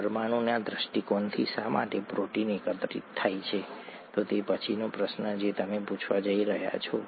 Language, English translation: Gujarati, From a molecular point of view, why does a protein aggregate, that’s the next question that you’re going to ask